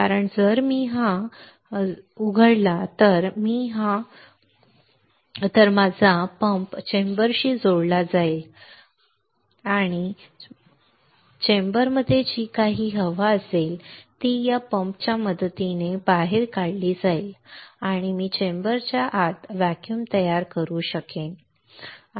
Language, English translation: Marathi, Because if I open this valve if I open this valve then my pump is connected to the chamber, my pump is connected to the chamber and; that means, whatever the air is there in the chamber will get evacuated with the help of this pump and I will be able to create a vacuum inside the chamber, right